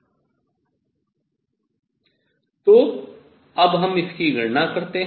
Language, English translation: Hindi, So, this we have calculated